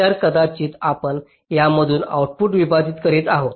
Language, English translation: Marathi, so maybe we are splitting outputs across these